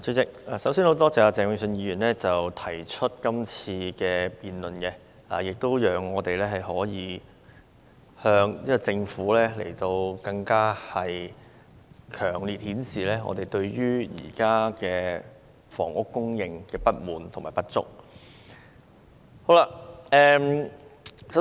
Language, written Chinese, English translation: Cantonese, 主席，首先，我感謝鄭泳舜議員今天提出這項議案辯論，讓我們可以向政府更強烈地表達對現時房屋供應不足的不滿。, President first of all I am grateful to Mr Vincent CHENG for moving this motion today so that we can express to the Government our great dissatisfaction about the current shortage of housing supply in Hong Kong